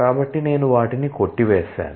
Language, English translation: Telugu, So, I have struck them out